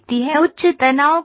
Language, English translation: Hindi, Where are the high stresses